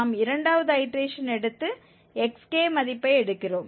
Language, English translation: Tamil, And after third iteration we compute xk from this scheme